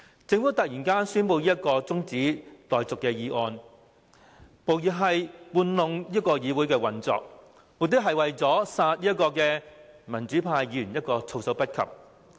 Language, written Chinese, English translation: Cantonese, 政府突然提出這項休會待續議案，無疑是操弄議會運作，目的是要殺民主派議員一個措手不及。, By abruptly moving the adjournment motion the Government is undoubtedly manipulating the operations of the Council with a view to catching pro - democracy Members off - guard